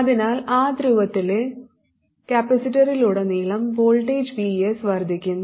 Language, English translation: Malayalam, So, VS, which is the voltage across the capacitor in that polarity, VS increases